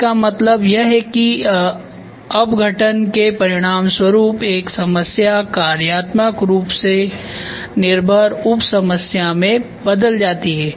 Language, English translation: Hindi, This means that the decomposition has resulted in functionally dependence sub problems